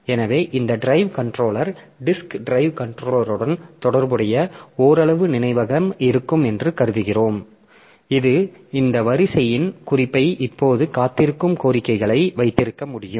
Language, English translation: Tamil, So, we assume that this drive controller, that this drive controller it will have some amount of memory associated with it that can keep a note of this Q, the request that are waiting now